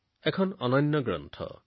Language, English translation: Assamese, This book is very unique